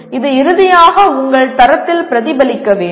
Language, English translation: Tamil, It should get reflected finally into your grade